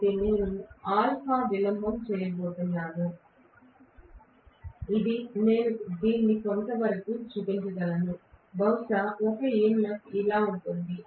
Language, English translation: Telugu, So I am going to have these delay alpha which I can actually show it somewhat like this, maybe one EMF is like this